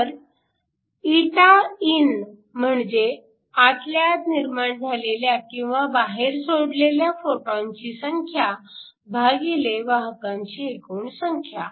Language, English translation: Marathi, So, ηin, is a number of photons emitted or generated internally divided by the number of carriers